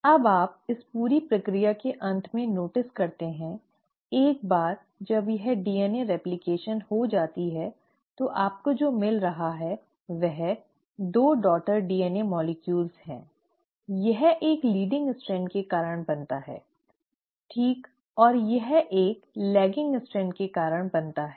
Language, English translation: Hindi, Now you notice at the end of this entire process, once this DNA replication has happened what you end up getting are 2 daughter DNA molecules, this one formed because of a leading strand, right, and this one formed because of the lagging strand